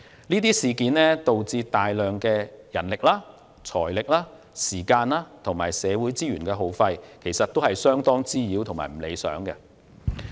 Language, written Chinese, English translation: Cantonese, 這些事件導致耗費大量人力、財力、時間和社會資源，相當滋擾和不理想。, These incidents led to the wastage of a lot of manpower financial resources time and social resources which was rather disturbing and unsatisfactory